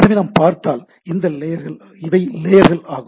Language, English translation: Tamil, So, if we look at so if these are the layers